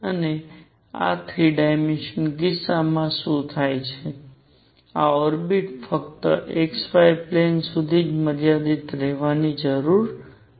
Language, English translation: Gujarati, And in the 3 dimensional case what happens this orbit need not be confined to only x y plane